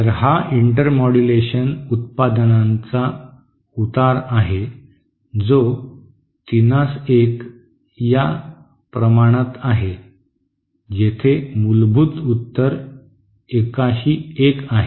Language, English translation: Marathi, So this is the slope of the intermodulation products which is 3 is to 1, where as the slope of the fundamental is 1 is to 1